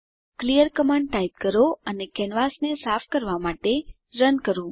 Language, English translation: Gujarati, Type clear command and Run to clean the canvas